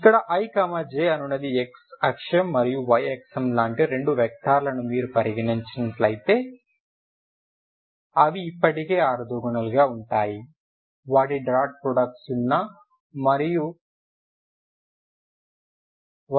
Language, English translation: Telugu, These two but you can make them if they are suppose you consider two vectors here if they are like ij x axis and y axis they are already orthogonal their dot product is zero, one zero and zero one ok